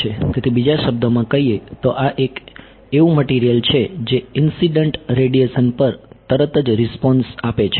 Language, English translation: Gujarati, So, in other words, this is a material that reacts instantaneously to the incident radiation because the response is